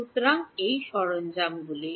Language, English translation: Bengali, So, these are the tools